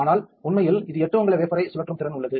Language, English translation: Tamil, But actually has the capability to spin a 8 inch wafer